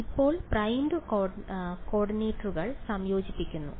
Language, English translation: Malayalam, So, now, integrate over primed coordinates